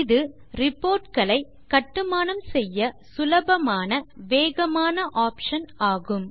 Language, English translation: Tamil, This is an easy and fast option to build reports